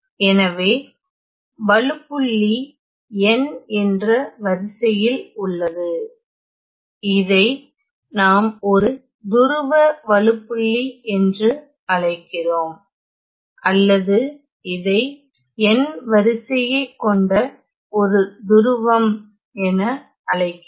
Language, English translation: Tamil, So, the singularity is of the order n; say we call this as a pole singularity or I also call this as a pole of order n